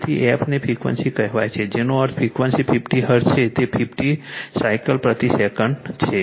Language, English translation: Gujarati, So, f is the frequency that is your say frequency 50 hertz means; it is 50 cycles per second right